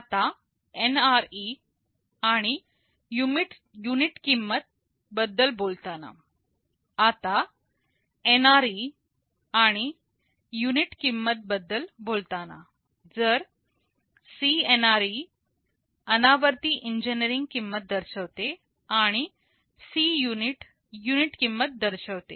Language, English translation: Marathi, Now, talking about the NRE and unit cost, if CNRE denotes the non recurring engineering cost, and Cunit denotes the unit cost